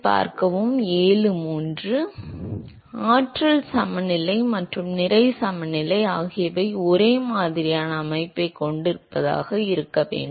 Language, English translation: Tamil, Should be, because the energy balance and mass balance they have similar structure